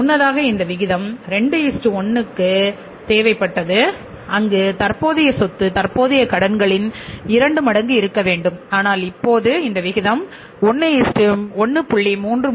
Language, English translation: Tamil, Earlier this was this ratio was required to be 2 is to 1 where the current asset should be 2 times of the current liabilities but now this ratio has been brought down to 1